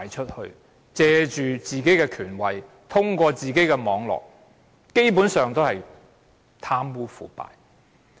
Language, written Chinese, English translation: Cantonese, 官員藉着自己的權位，通過自己的網絡，基本上都是貪污腐敗。, They used their power and status to achieve their purpose through their own network . Basically all of them were corrupt